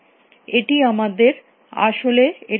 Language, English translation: Bengali, And this is actually giving it to us